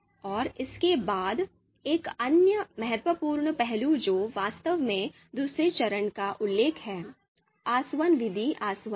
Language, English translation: Hindi, And after this, the another important aspect which is actually referring to the second phase of ELECTRE you know method is distillation